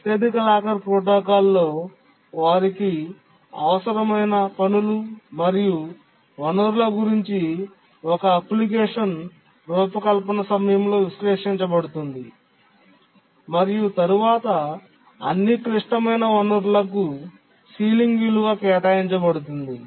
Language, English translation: Telugu, In the highest locker protocol, during the design of an application, what are the tasks and what resources they need is analyzed and then a ceiling value is assigned to all critical resources